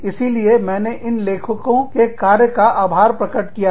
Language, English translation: Hindi, So, i am acknowledging the work, that these authors have done